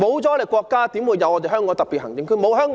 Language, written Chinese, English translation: Cantonese, 沒有國家，何來香港特別行政區？, Without our country how can the Hong Kong Special Administrative Region HKSAR exist?